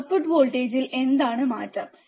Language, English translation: Malayalam, What is the change in the output voltage, right